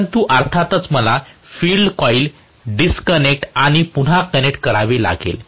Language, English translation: Marathi, But of course I have to disconnect and reconnect the field coils